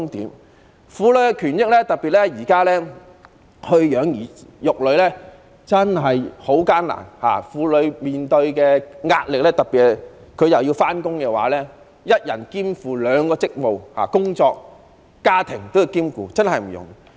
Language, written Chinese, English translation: Cantonese, 在婦女權益方面，特別是今時今日養兒育女真的很艱難，婦女面對着巨大的壓力，特別是還要上班的婦女，一人兼負兩個職務，同時兼顧工作和家庭確實不容易。, As regards the rights and interests of women it is especially difficult to raise children nowadays and women are facing tremendous pressure . This is particularly so for working women who are busy juggling jobs and families . It is not easy indeed